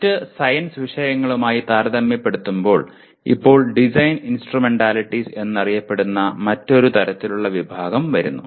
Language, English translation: Malayalam, Now comes yet another kind of somewhat way compared to other science subjects called Design Instrumentalities